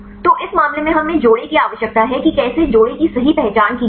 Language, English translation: Hindi, So, in this case do we need the pairs how to identify the pairs right